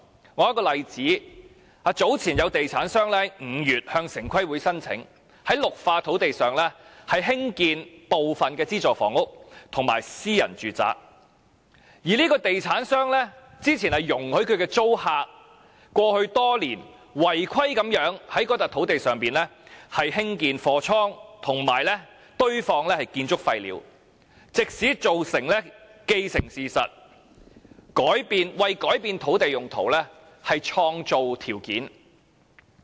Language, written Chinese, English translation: Cantonese, 我說一個例子，有地產商在5月向城市規劃委員會申請，在綠化土地上興建部分資助房屋及私人住宅，而該地產商之前容許其租客過去多年違規在該土地上興建貨倉及堆放建築廢料，藉此造成既定事實，為改變土地用途創造條件。, Let me cite an example . A developer which applied to the Town Planning Board in May for building subsidized and private housing in a green area had previously allowed its tenants to build warehouses and dump construction waste on that land lot illegally over the years so as to establish a fait accompli and create conditions for change of land use